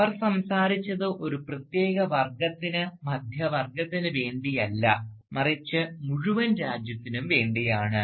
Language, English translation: Malayalam, Heroes who spoke not on the behalf of a particular class, the middle class, but on the behalf of the entire nation, right